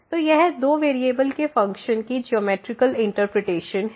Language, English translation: Hindi, So, this is the interpretation the geometrical interpretation of the functions of two variables